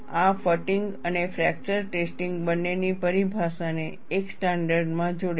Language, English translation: Gujarati, This combines the terminology of both fatigue and fracture testing, into a single standard